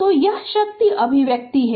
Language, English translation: Hindi, So, this is the power expression